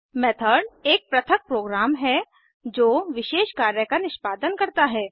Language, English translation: Hindi, A Method is a self contained program executing a specific task